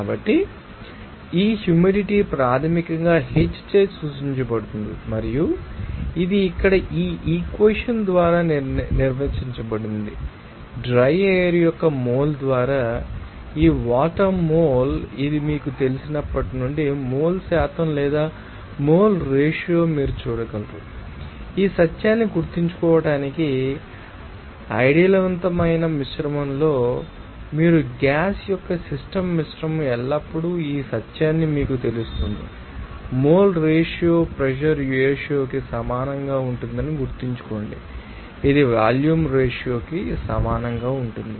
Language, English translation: Telugu, So, this humidity basically, you know, are denoted by H, and it is defined by this equation here, this mole of water by moles of the dry air, now, this since it is you know, mole percentage or mole ratio you can see, you have to remember this true that in an ideal mixture you will see that in a system mixture of gaseous always this truth to be you know that remember that mole ratio will be equal to pressure ratio that will be equal to volume ratio